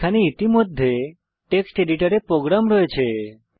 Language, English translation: Bengali, I already have program in a text editor